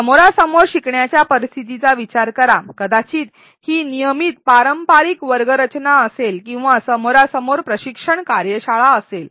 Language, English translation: Marathi, Consider a face to face learning scenario maybe it is a regular traditional classroom setting or a training workshop a face to face training workshop